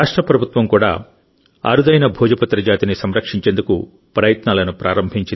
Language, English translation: Telugu, The state government has also started a campaign to preserve the rare species of Bhojpatra